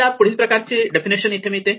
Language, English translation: Marathi, This gives us the following definitions